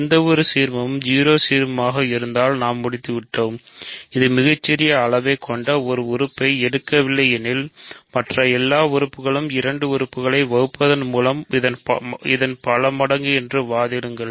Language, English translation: Tamil, Given any ideal if it is 0 ideal, we are done; if it is not pick an element with the smallest size, then argue that every other element is a multiple of this by sort of dividing the two elements